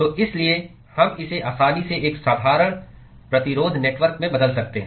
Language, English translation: Hindi, So, therefore we can easily translate this into a simple resistance network